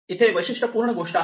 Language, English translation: Marathi, Here is a typical thing